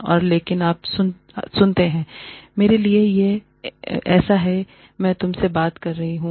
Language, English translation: Hindi, And but, when you listen to me, it is like, I am talking to you